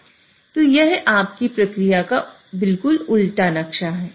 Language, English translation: Hindi, So it's exactly the reverse map of your process